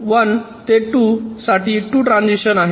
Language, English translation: Marathi, there are two transitions